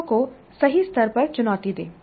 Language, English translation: Hindi, So challenge the students at the right level